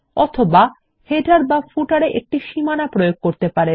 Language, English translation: Bengali, Or apply a border to the header or footer